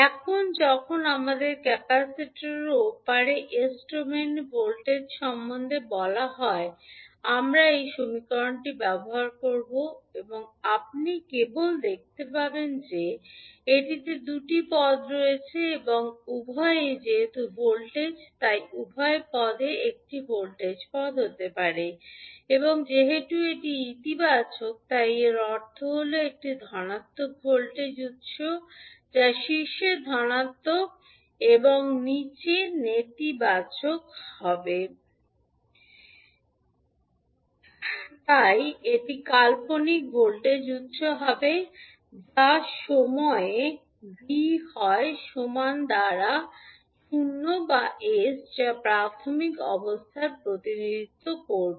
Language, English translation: Bengali, Now, when we are asked to find out the voltage vs in s domain across the capacitor so, we will use this equation and you can simply see that it contains two terms and both are since it is the voltage so, both terms can be a voltage terms and since it is a positive it means that a positive voltage source that is plus polarity on the top and negative at the bottom will be the value so, this will be the fictitious voltage source that is v at time is equal to 0 by s which will represent the initial condition that is the voltage across capacitor at time is equal to 0